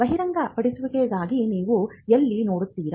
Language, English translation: Kannada, So, where do you look for a disclosure